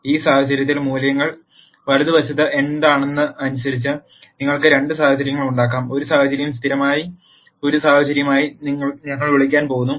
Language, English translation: Malayalam, In this case, depending on what the values are on the right hand side, you could have two situations; one situation is what we are going to call as a consistent situation